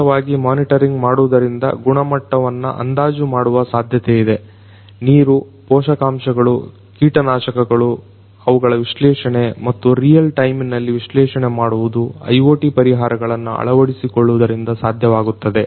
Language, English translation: Kannada, It is going to be possible to predict the quality by continuous monitoring, water, nutrients, pesticides, their analysis and analysis in real time is going to happen through the integration of IoT solutions